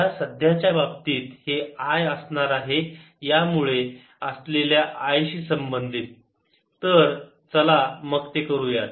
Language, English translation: Marathi, in the present case this is going to be corresponding to the i due to this ray